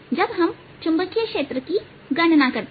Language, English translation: Hindi, so i gives me a magnetic field